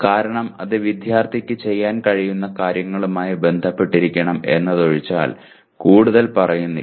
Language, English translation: Malayalam, Because it is not saying very much except that it should be related to what the student should be able to do